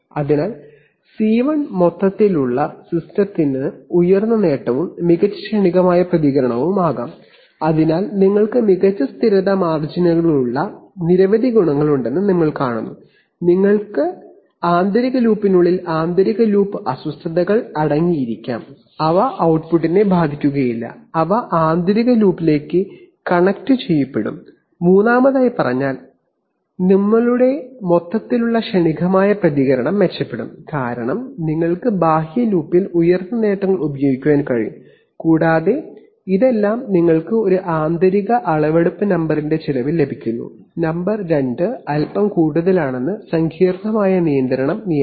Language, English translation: Malayalam, So C1 can be high gain and better transient response for the overall system, so you see that you have several advantages you have better stability margins, you have, you can contain inner loop disturbances within the inner loop and they will not affect the output, they will get connected in the inner loop and thirdly speaking your overall transient response will improve because you can use higher gains in the outer loop right and all this you are getting at the expense of an additional measurement number one and number two are slightly more complicated control law